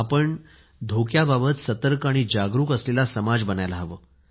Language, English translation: Marathi, We'll have to turn ourselves into a risk conscious society